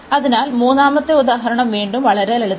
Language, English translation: Malayalam, So, the third example is again very simple